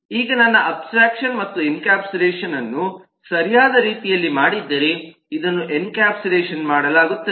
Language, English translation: Kannada, now, if i have done my abstraction and encapsulation in the right way, then this is encapsulated